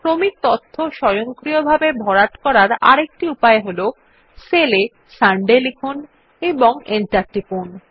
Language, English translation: Bengali, Another method for auto filling of sequential data is as follows Type Sunday in a cell and press Enter